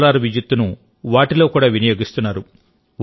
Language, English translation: Telugu, Solar energy has also demonstrated that